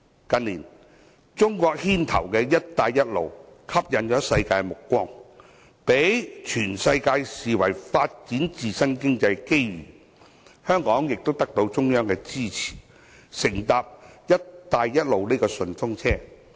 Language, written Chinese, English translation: Cantonese, 近年，由中國牽頭的"一帶一路"吸引了世界目光，被全世界視為發展經濟的機遇，香港亦得到中央支持，乘搭"一帶一路"順風車。, In recent years the Belt and Road Initiative led by China has attracted the attention of the world and it is regarded by the world as an opportunity for economic development . Hong Kong has the support of the Central Authorities and gets a free ride on the Belt and Road Initiative